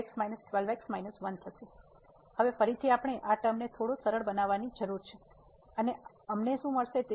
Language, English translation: Gujarati, So, the now again we need to simplify this term a little bit and what we will get